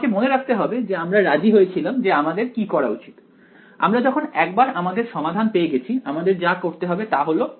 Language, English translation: Bengali, I have to remember we had agreed on what we will do, once I have got the solution all that I have to do is